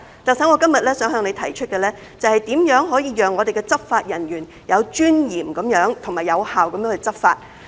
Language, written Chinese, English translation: Cantonese, 特首，我今日想向你提出的是，如何可以讓我們的執法人員有尊嚴和有效地執法。, Chief Executive today I would like to ask how we can enable our law enforcement officers to enforce the law in a dignified and effective manner